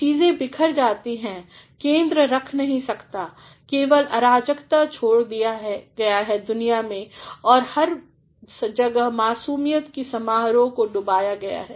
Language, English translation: Hindi, Things Fall apart, the center cannot hold mere anarchy is loosed upon the world and everywhere the ceremony of innocence is drowned